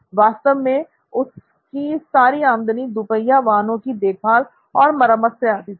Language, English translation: Hindi, And all his revenue actually came from the servicing of two wheelers